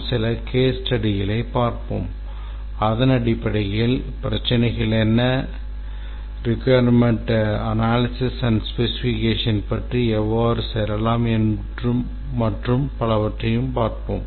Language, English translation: Tamil, We will look at some case studies and based on that we will see what are the issues and how to go about doing the requirements analysis and specification